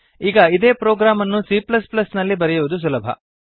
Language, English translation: Kannada, Now, writing a similar program in C++ is quite easy